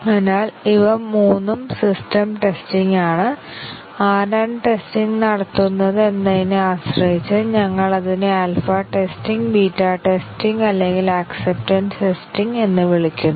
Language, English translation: Malayalam, So, these are all these three are system testing and depending on who carries out the testing, we call it as alpha testing, beta testing or acceptance testing